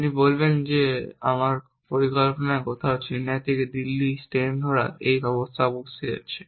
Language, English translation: Bengali, You will say that somewhere in my plan, there must be this action of catching a train from Chennai to Delhi